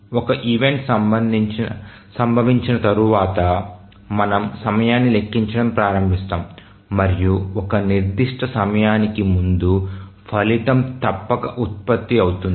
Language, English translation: Telugu, So once an event occurs, then we start counting the time and we say that before certain time the result must be produced